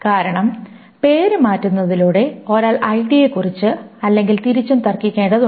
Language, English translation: Malayalam, Because just by changing the name, one only has to argue about the ID or vice versa